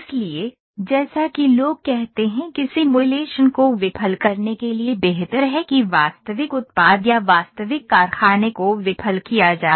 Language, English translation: Hindi, So, as people say it is better to fail a simulation that to fail a real product or a real factory